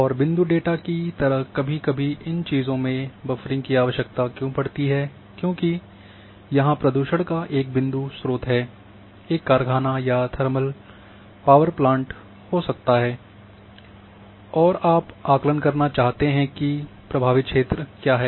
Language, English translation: Hindi, And these thing like in case of point data why buffering requires some time because there might be a point source pollution, might be a factory or thermal power plant and you want to assess what is the affected area